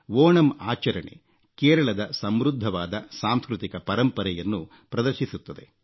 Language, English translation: Kannada, This festival showcases the rich cultural heritage of Kerala